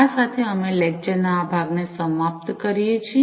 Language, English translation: Gujarati, With this we come to an end of this part of the lecture